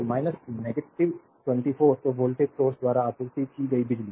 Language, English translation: Hindi, So, minus 24 so, power supplied by the voltage source right